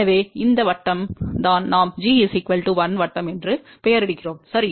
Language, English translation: Tamil, So, this is the circle which we name as g equal to 1 circle, right